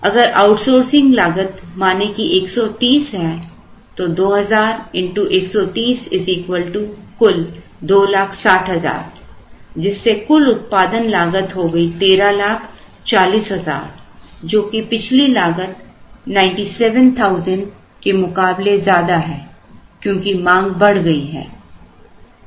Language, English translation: Hindi, If the outsourcing cost happens to be say 130, then we have 2000 into 130, which is 2,60,000 which gives us a total cost of 1,300 and 40,000 or 13,40,00 as the total cost as against 900 and 70,000, here the reason being the demand is now higher